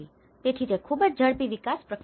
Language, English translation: Gujarati, So, it is a very quick development process